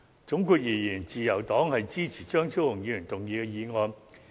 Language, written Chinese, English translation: Cantonese, 總括而言，自由黨支持張超雄議員動議的議案。, To conclude the Liberal Party supports Dr Fernando CHEUNGs motion